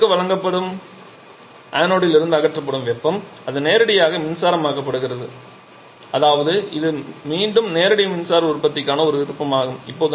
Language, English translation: Tamil, So, the heat that is being supplied to the cathode and removed from the anode that is getting directly converted to electricity that means it is again an option for direct electricity production